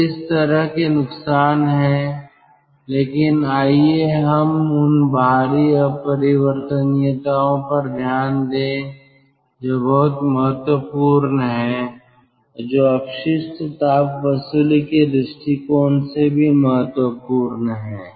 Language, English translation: Hindi, but let us look into the ah, external irreversibilities, which are very important and which are also important from the waste heat recovery point of view